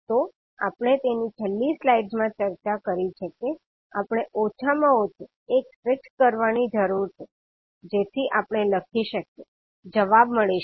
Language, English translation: Gujarati, So that is what we have discussed in the last slide that we need to fix at least one so that we can write, we can get the answer